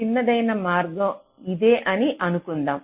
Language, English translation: Telugu, lets say the shortest path is this